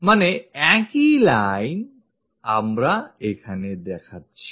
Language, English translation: Bengali, So, the same line, we are showing it here